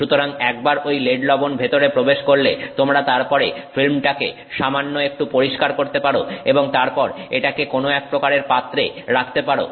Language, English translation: Bengali, So, once the let's salt is in you then do some little bit of cleaning of the film and then you keep it in some kind of container